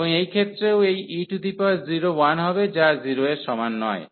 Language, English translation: Bengali, And in this case also this e power 0 will be 1 which is not equal to 0